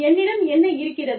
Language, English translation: Tamil, What do i have